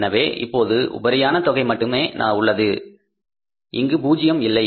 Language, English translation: Tamil, So now excess is only we have no amount available here this is zero